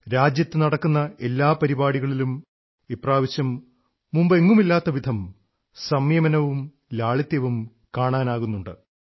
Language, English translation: Malayalam, At every event being organised in the country, the kind of patience and simplicity being witnessed this time is unprecedented